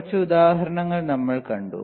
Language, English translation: Malayalam, Then we have seen few examples